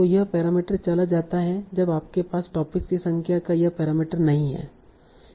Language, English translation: Hindi, You do not have this parameter of number of topics anymore